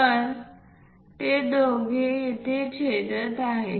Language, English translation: Marathi, So, both of them are intersecting here